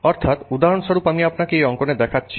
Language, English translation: Bengali, So, for example, I'm just showing you here in a sketch